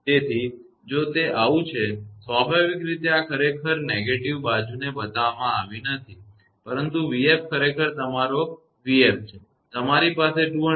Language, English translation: Gujarati, So if it is so, naturally this actually this negative side it is not shown, but v f actually your v f; you have a 200 kV